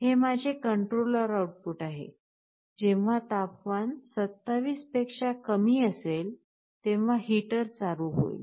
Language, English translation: Marathi, When the temperature is less than 27, this is my controller output; the heater is on